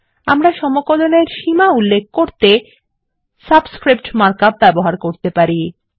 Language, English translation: Bengali, We can also use the subscript mark up to specify Limits of an integral